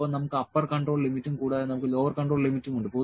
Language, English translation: Malayalam, And we have upper control limit and we have lower control limit